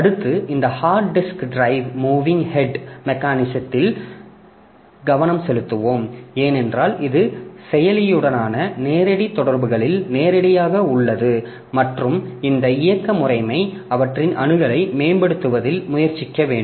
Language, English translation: Tamil, So, next we'll be concentrating on this hard disk drive moving head mechanism because this is the one that will be mostly talking about this is because this is direct in direct interaction with the processor and this operating system really has to do something in optimizing their access